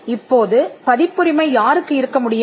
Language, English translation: Tamil, Now, who can have a copyright